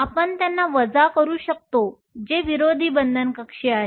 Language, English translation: Marathi, You can subtract them and this is called the Anti bonding orbital